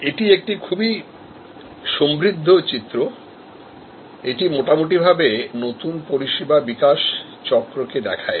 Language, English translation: Bengali, This is a very good rich diagram; it shows more or less the entire new service development cycle